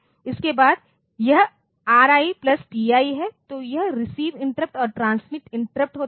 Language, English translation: Hindi, Then this RI plus TI so, this is received interrupt and transmit interrupt